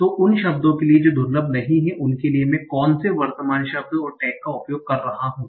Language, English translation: Hindi, So for the words that are not rare, what feature am I using, the current word and the tag